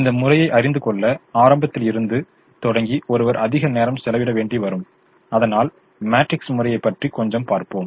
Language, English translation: Tamil, one can spend a lot more time starting from the beginning, but let's just see a little bit of the matrix method now